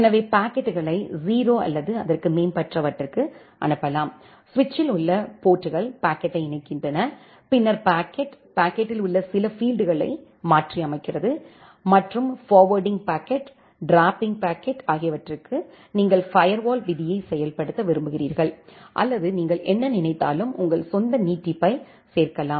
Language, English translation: Tamil, So, the action can be forward the packets to 0 or more ports in the switch encapsulate the packet and then forward the packet modifies certain fields in the packet and in forward the packet, drop the packets, if you want to implement the firewall rule or you can add up your own extension, whatever you can think of